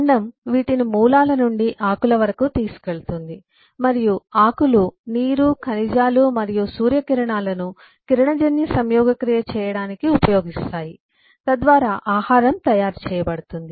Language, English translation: Telugu, roots observe the nutrition, the water minerals from the soil stem, carry those from the root to the leaves, and the leaves use water minerals and the sun rays to do photosynthesis so that food can be prepared